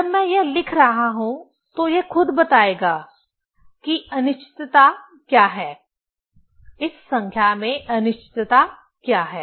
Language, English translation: Hindi, When I am writing this one this will itself tell what is the uncertainty; what is the uncertainty in this number